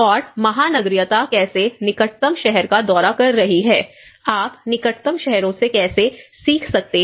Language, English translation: Hindi, And cosmopolitaness is how visiting the nearest city, how you learn from the nearest cities